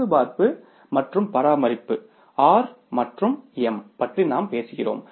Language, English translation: Tamil, Then we talk about the repair and maintenance, R and M